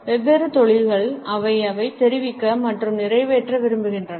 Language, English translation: Tamil, Different industries have different goals and messages which they want to convey and fulfill